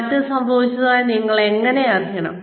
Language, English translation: Malayalam, How do you know that change occurred